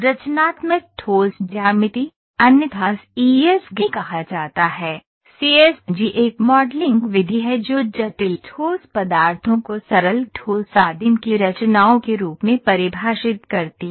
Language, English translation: Hindi, So, constructive solid geometry, which is otherwise called as CSG, the CSG is a modern method that defines the complex solid shape as composition of a simple solid primitives